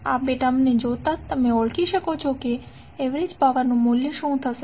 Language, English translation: Gujarati, You can just simply look at these two term, you can identify what would be the value of average power